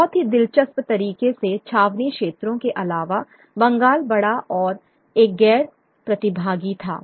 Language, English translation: Hindi, Very interestingly other than the cantonment areas, Bengal was by a large non participants